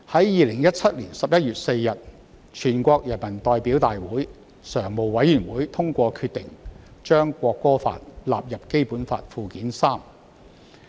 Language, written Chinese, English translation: Cantonese, 2017年11月4日，全國人民代表大會常務委員會通過決定，將《國歌法》列入《基本法》附件三。, On 4 November 2017 the Standing Committee of the National Peoples Congress adopted the decision to include the National Anthem Law in Annex III to the Basic Law